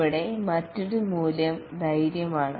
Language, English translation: Malayalam, And here the other value is courage